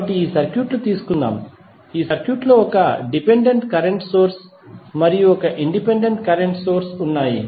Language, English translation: Telugu, So, let us take this circuit, this circuit contains one dependent current source and one independent current source, right